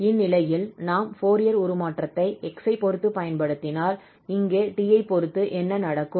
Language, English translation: Tamil, So in this case, if we apply the Fourier transform now with respect to x then what will happen here with respect to t